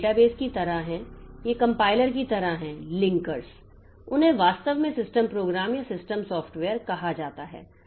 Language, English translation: Hindi, So, these are like the database, these are like the compilers, like the linkers and so they are actually called the system programs or system software